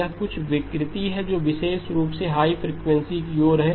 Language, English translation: Hindi, It has got some distortion that especially towards the high frequencies